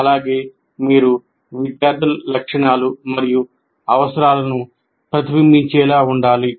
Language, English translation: Telugu, And he should also, should be able to reflect on students' characteristics and needs